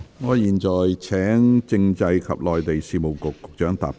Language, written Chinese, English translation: Cantonese, 我現在請政制及內地事務局局長答辯。, I now call upon the Secretary for Constitutional and Mainland Affairs to reply